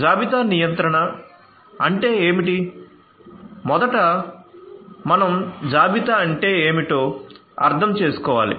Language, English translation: Telugu, So, think about what is inventory control